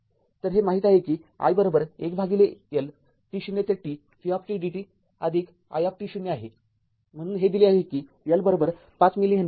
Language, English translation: Marathi, So, you know that i is equal to 1 upon L t 0 to t v t dt plus i t 0 right, so given that L is equal to 5 milli Henry